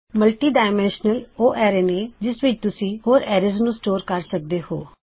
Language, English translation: Punjabi, A multidimensional array is an array in which you can store other arrays